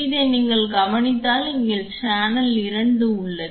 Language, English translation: Tamil, If you observe this is this here is channel 2